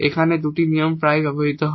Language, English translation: Bengali, There are two more rules frequently used here